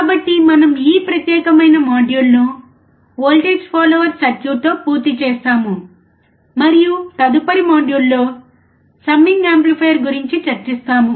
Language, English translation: Telugu, So, we will just complete this particular module with the voltage follower circuit, and in the next module, we will discuss about summing amplifier